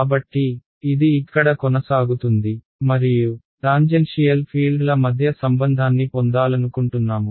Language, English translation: Telugu, So, let us say that this is continues over here and I want to get a relation between the tangential fields